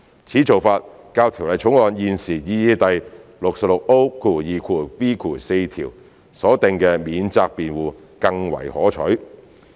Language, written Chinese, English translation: Cantonese, 此做法較《條例草案》現時擬議第 66O2b 條所訂的"免責辯護"更為可取。, This approach is preferred to the defence originally provided under the proposed section 66O2biv of the Bill